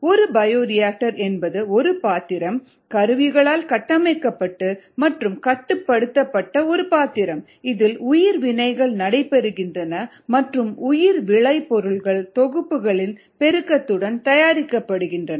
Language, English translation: Tamil, a bioreactor is nothing but a vessel, highly instrumented and controlled vessel, in which bio reactions take place and bio products are made, normally with the multiplication of sets